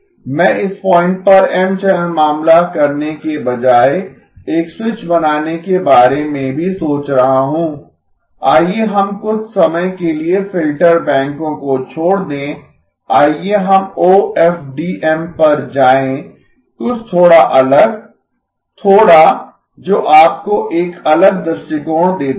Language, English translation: Hindi, I am also thinking of making a switch rather than doing the M channel case at this point, let us leave filter banks for some time, let us to OFDM something a little different, little that gives you a different perspective